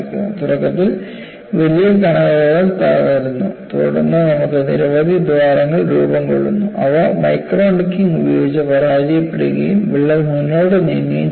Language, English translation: Malayalam, Initially, the large particles break, then you have myriads of holes formed, they fail by micro necking and the crack moves forward